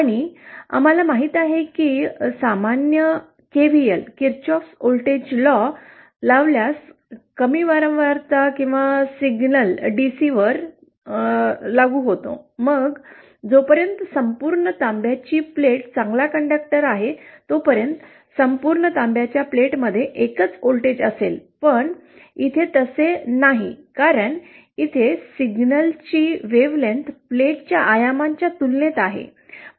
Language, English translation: Marathi, And we know that from normal KVL, KirchoffÕs voltage low, at low frequencies or DC if a signal is applied, then the entire copperplate as long as it is a good conductor, entire copperplate will have the same voltage but that is not the case here because here the wavelength of the signal is comparable to the dimensions of the plate